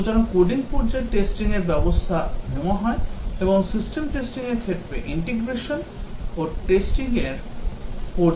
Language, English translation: Bengali, So, testing is undertaken in coding phase and also integration in system testing takes place in the testing phase